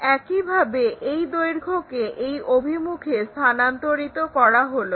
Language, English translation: Bengali, Similarly, transfer this length in this direction